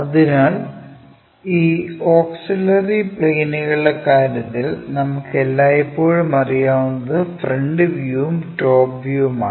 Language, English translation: Malayalam, So, in this auxiliary planes thing, what we always know is front view and top view